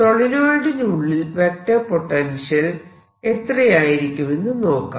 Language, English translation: Malayalam, that is a vector, ah, vector potential outside the solenoid